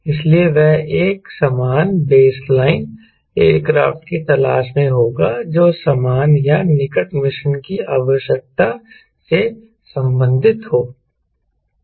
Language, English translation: Hindi, so he will be looking for a similar baseline aircraft which belongs to the same ah closer mission requirement